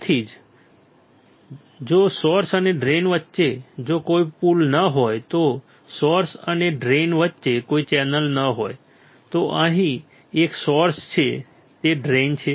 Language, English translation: Gujarati, Same way if there is no bridge between source and drain, if there is no channel between source and drain here is a source here is a drain